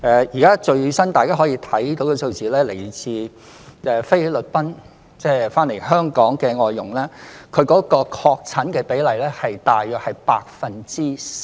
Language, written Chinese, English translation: Cantonese, 現時大家可以看到最新的數字，自菲律賓返港的外傭，確診比例大約是 4%。, As we can see from the latest figures the percentage of confirmed cases among FDHs coming to Hong Kong from the Philippines is around 4 %